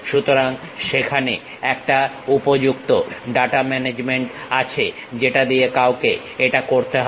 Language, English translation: Bengali, So, there is a proper data management one has to do with that